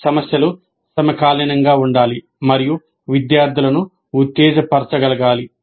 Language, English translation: Telugu, Problems must be contemporary and be able to excite the students